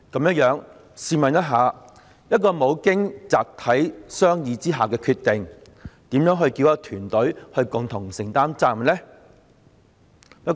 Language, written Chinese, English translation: Cantonese, 這樣，試問就一個未經集體商議而作出的決定，如何能叫一個團隊共同承擔責任呢？, Such being the case I wonder how a team can share the responsibility for a decision made without collective discussion